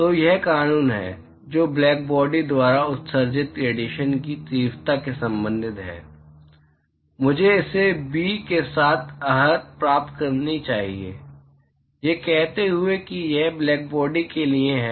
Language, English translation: Hindi, So, that is the law, which relates the intensity of radiation emitted by blackbody, I should qualify it with a ‘b’, saying it is for blackbody